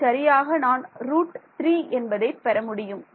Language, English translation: Tamil, Exactly I will get a root 3